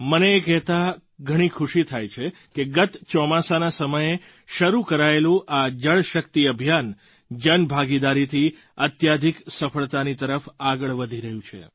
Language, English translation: Gujarati, It gives me joy to let you know that the JalShakti Campaign that commenced last monsoon is taking rapid, successful strides with the aid of public participation